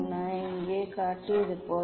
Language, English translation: Tamil, this as I showed in here